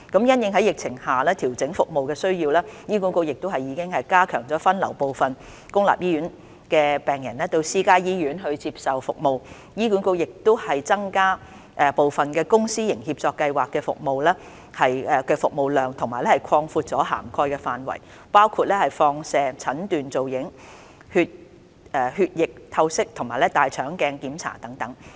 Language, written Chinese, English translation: Cantonese, 因應在疫情下調整服務的需要，醫管局已加強分流部分公立醫院病人到私家醫院接受服務，並已增加部分公私營協作計劃的服務量和擴闊此計劃的涵蓋範圍，包括放射診斷造影、血液透析及大腸鏡檢查等。, Given the need to adjust its services under the epidemic situation HA has stepped up the efforts to divert patients from public hospitals to private hospitals for treatment . Also the service capacity of some Public - Private Partnership Programmes has been increased and the scope of these programmes has been expanded to cover services such as radiology investigation haemodialysis and colonoscopy